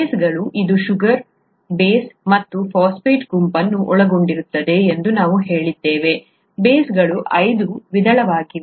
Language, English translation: Kannada, The bases, right, we said that it contains a sugar, the base and the phosphate group, the bases are of five kinds